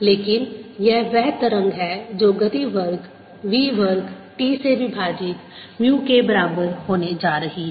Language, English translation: Hindi, this is the wave which will be going to be set up with ah speed square v, square t equal to mu